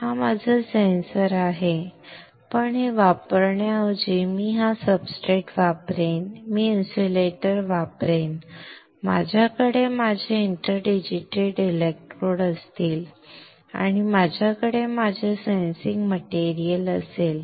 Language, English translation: Marathi, This is my sensor, but instead of using this I will use this substrate, I will use an insulator, I will have my interdigitated electrodes, and I will have my sensing material